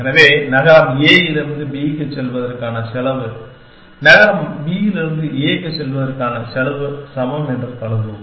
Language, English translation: Tamil, So, we will assume that the cost of going from city a to b is the same as the cost of going from city b to a